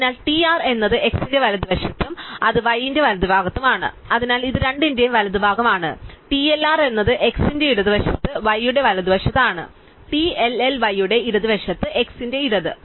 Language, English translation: Malayalam, So, TR is to the right of x and it is also to the right of y, so it is the right of both, TLR is to the left of x to the right of y, TLL is to left of y, left of x